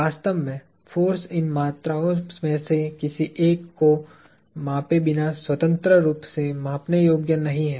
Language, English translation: Hindi, Force as a matter of fact is not independently measurable without measuring one of these quantities